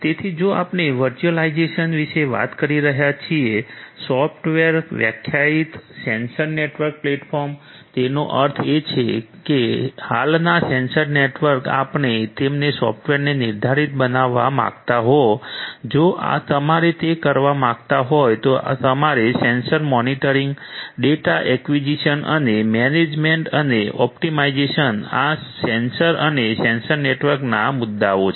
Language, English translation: Gujarati, So, if we are talking about the virtualization, the software defined sensor network platforms; that means, the existing sensor networks you want to make them software defined if you want to do that what you need to take care of is basically issues of number 1 sensor monitoring, number 2 data acquisition and number 3 management and optimization of these sensors and sensor networks